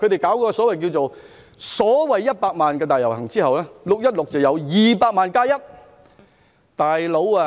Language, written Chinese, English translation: Cantonese, 在舉行所謂100萬人大遊行後，在6月16日再舉行200萬加1人的遊行。, After holding the so - called 1 million - strong march they further held a march joined by 2 million plus one people on 16 June